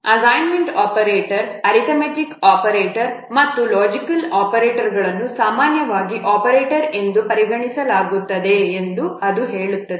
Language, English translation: Kannada, It says that assignment operators, arithmetic operators and logical operators, they are usually counted as operators